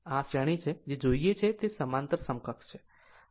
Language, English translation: Gujarati, So, this is series, what we want is parallel equivalent right